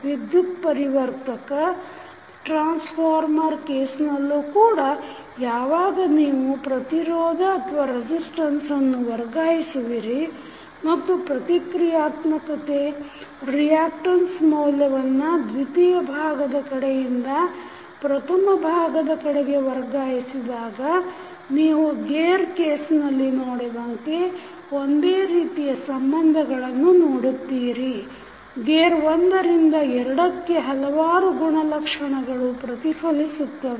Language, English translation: Kannada, So, if you see these equations you can easily correlate, in case of transformer also when you transfer the resistance and reactance value from secondary side to primary side you will see similar kind of relationship, as we see in this case of gear, the reflection of the various properties from gear 2 to gear 1